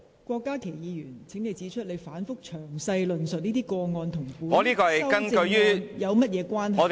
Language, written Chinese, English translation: Cantonese, 郭家麒議員，請指出你反覆詳細論述此等個案，與當前討論的修正案有何關係。, Dr KWOK Ka - ki please point out how your repeated and detailed mention of these cases is relevant to the amendments under discussion